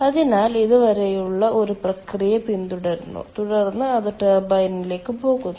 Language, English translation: Malayalam, so it follows a process up to this and then it goes to the turbine